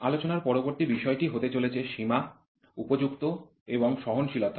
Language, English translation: Bengali, The next topic of discussion is going to be Limits, Fits and Tolerances